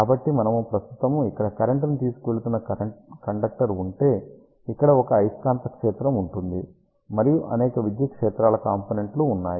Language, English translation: Telugu, So, let us see if you have a current carrying conductor here, there will be magnetic field like this here, and there will be several electric field components